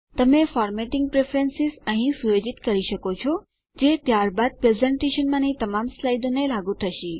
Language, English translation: Gujarati, You can set formatting preferences here, which are then applied to all the slides in the presentation